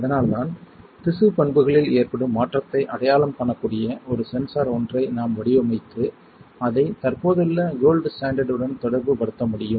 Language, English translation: Tamil, That is why if we can design a sensor that can identify the change in the tissue property and we can correlate that with the existing gold standard